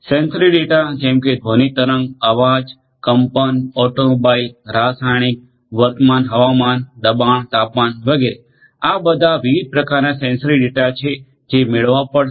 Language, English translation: Gujarati, Sensory data such as sound wave, voice, vibration, automobile, chemical, current, weather, pressure, temperature, etcetera, etcetera, etcetera these are all these different types of sensory data which will have to be acquired